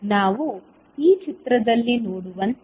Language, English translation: Kannada, As we see in this figure